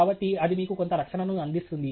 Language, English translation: Telugu, So, that provides you some protection